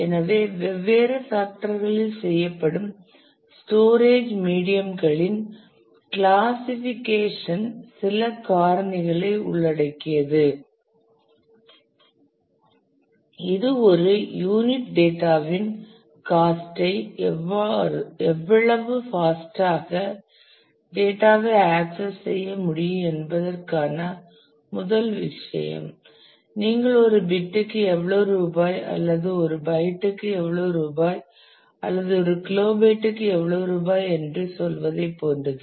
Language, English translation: Tamil, So, some of the the classification of storage media done on different factors the factors includes speed which is the first thing the how fast the data can be accessed the cost per unit of data you can say the rupees per bit or rupees per byte or rupees per kilobyte something like that